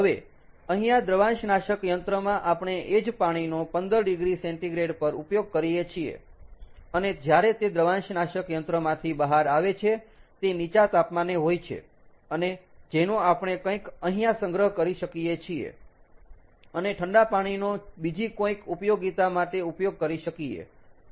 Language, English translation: Gujarati, we use the same water at fifteen degree centigrade and when it comes out of the evaporator it is at a lower temperature and which we can collect somewhere here and use the chilled water from some other application